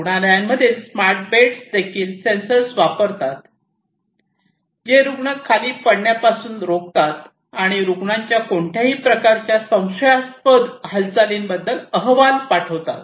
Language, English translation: Marathi, Smart beds in the hospitals also use sensors that prevent the patient from being falling down and sending report about any kind of movement, suspicious movement of the patients